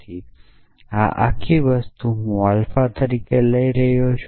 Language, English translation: Gujarati, So, this whole thing I am taking as alpha